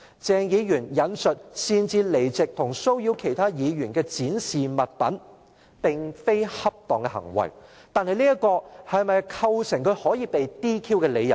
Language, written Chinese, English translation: Cantonese, 鄭議員"擅自離席及騷擾其他議員的展示物品"並非恰當行為，但這是否構成他可以被 "DQ" 的理由？, Dr CHENG leaving his seat at will and disturbing other Members displaying objects is not a proper behaviour but does this constitute a reason for his disqualification?